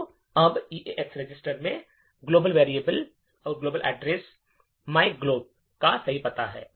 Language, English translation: Hindi, So now EAX register has the correct address of myglob, the global address